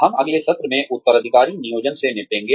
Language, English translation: Hindi, We will deal with, succession planning, in the next session